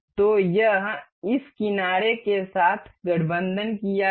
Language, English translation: Hindi, So, this is aligned with this edge